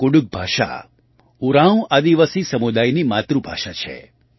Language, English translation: Gujarati, Kudukh language is the mother tongue of the Oraon tribal community